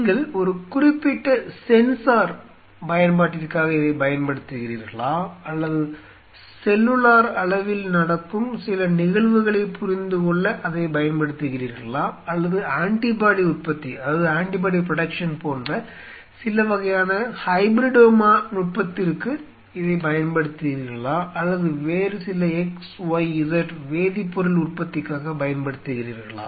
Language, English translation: Tamil, Are you using it for a specific sensor application or you are using it for understanding certain event happening at the cellular level or you are using it for some kind of hybridoma technique like you know antibody production or you are using it for production of some other x, y, z chemical